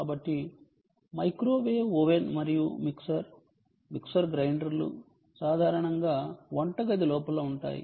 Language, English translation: Telugu, so microwave oven and mixer are mixer, grinder are typically those which are inside kitchen